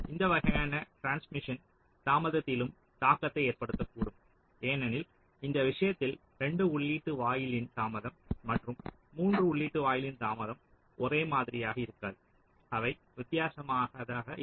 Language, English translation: Tamil, so this kind of a transmission may also have an impact on the delay, because in this case the delay of a two input gate and a delay of three input gate will not be the same, they will be different